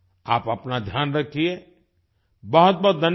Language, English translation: Hindi, Take care of yourself, thank you very much